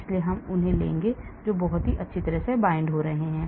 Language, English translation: Hindi, so I will take those which binds very well